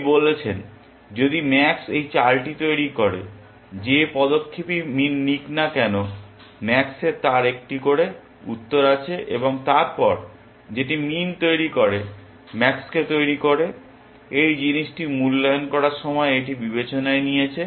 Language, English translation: Bengali, He says if max will make this move, whichever move min makes max has an answer to that and then, whichever makes min makes max has taken that into consideration while evaluating this thing